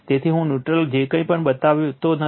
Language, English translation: Gujarati, So, I am not showing a neutral or anything